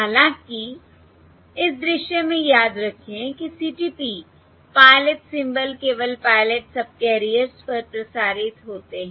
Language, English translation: Hindi, However, in this scene, remember, in CTP, pilot pilot symbols are only transmitted on the pilot subcarriers